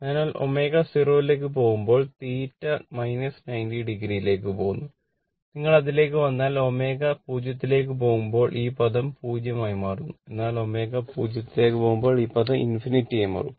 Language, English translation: Malayalam, So, as omega tends to 0 theta tends to minus 90 degree, if you come to that if omega tends to 0 this term will be tends to 0, but as omega tends to 0 this term will tends to minus infinity right